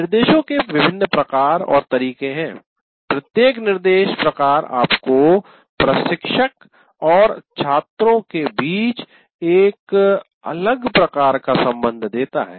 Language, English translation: Hindi, So you have different instruction types and what happens is the way each instruction type gives you a different type of relationship between the instructor and the students